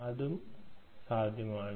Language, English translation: Malayalam, that is also possible